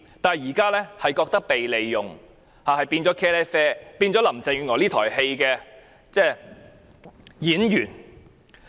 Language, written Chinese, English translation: Cantonese, 現在市民卻感到被利用，淪為林鄭月娥這台戲的臨時演員。, But now the public feel that they have been exploited and have become temporary actors in this play staged by Carrie LAM